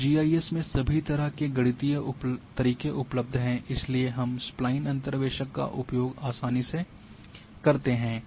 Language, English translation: Hindi, Now, mathematical ways of doing in GIS are all available so we go for Spline interpolator very easily